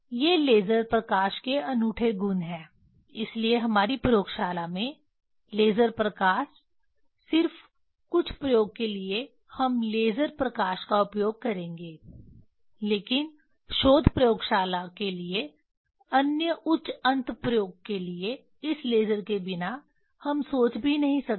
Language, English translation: Hindi, These are the unique property of the laser light, that is why laser light in our laboratory just for in some experiment we will use laser light but for other high end experiment for research laboratory this without laser we cannot think